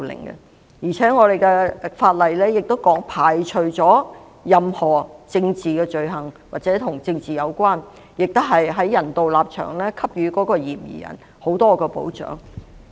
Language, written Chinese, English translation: Cantonese, 現行法例亦排除了任何政治罪行或與政治有關的移交，並且基於人道立場給予嫌疑人很多保障。, The existing legislation also excludes any political offences or politically - related surrenders and affords suspects many safeguards on humanitarian grounds